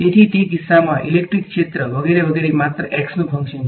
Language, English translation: Gujarati, So, in that case electric field etcetera is just a function of x